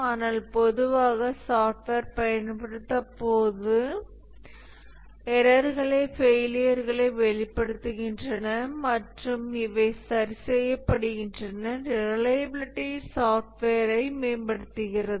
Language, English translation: Tamil, But typically as the software gets used, the errors are expressed failures and these are corrected, the reliability keeps on improving for the software